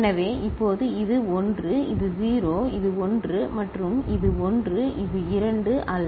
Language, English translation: Tamil, So, now this is 1, this is 0 this is 1 and this is 1 is not it 2